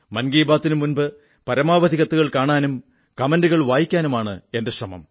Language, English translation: Malayalam, My effort is that I read the maximum number of these letters and comments myself before Mann Ki Baat